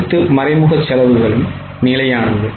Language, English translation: Tamil, All indirect costs are fixed